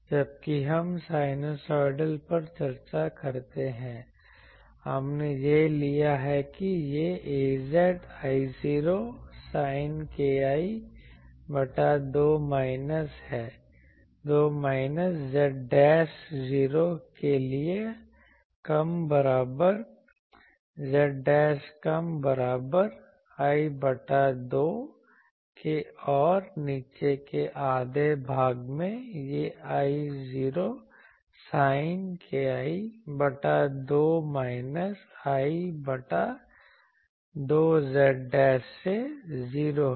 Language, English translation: Hindi, While we discuss sinusoidal we have taken that this is a z I 0 sin k l by 2 minus z dashed for 0 less than equal to z dashed less that equal to l by 2, and in the bottom half it is I 0 sin k l by 2 plus z dashed sorry minus l by 2 z dashed 0 that was our earlier thing